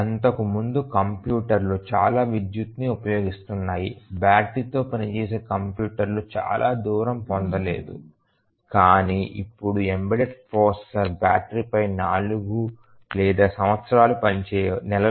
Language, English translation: Telugu, Earlier the computers were using so much of power that battery operated computer was far fetched, but now embedded processor may work for months or years on battery